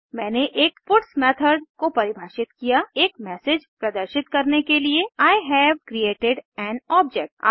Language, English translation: Hindi, I have defined a puts method to display the message I have created an object